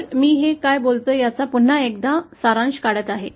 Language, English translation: Marathi, So, this is once again summarising what I was saying